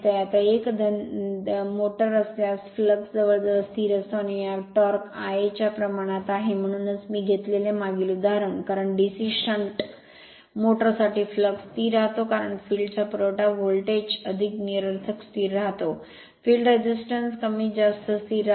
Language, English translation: Marathi, Now in case of a shunt motor the flux phi approximately constant and the torque is proportional to I a that is why the previous example I took because flux for DC shunt motor remain constant because field is supply voltage more or less remain constant, field resistance more or less remain constant